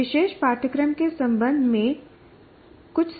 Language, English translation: Hindi, There is some issue with regard to this particular course itself